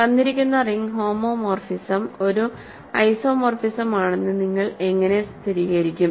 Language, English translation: Malayalam, How do you verify that a given ring homomorphism is an isomorphism